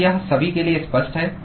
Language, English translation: Hindi, Is it clear to everyone